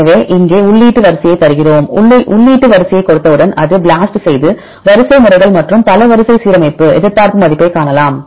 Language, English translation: Tamil, So, here we give your input sequence once you give the input sequence what it will do it will do the BLAST it will collect the sequences and do the multiple sequence alignment do different iterations you can see the threshold value